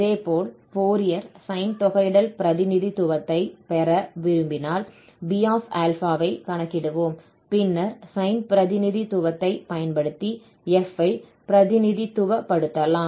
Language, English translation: Tamil, Similarly, if you want to have, if we wish to have the Fourier sine integral representation, we will compute this B and then we can represent this f using this sine representation